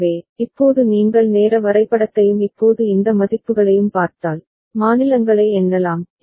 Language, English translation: Tamil, So, now if you look at the timing diagram and now these values, counting states